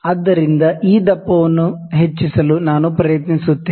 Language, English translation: Kannada, So, let me try to increase the thickness this one